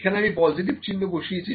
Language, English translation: Bengali, So, here I have put positive sign here